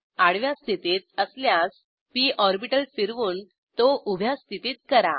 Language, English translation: Marathi, Rotate the p orbital to vertical position if it is in horizontal position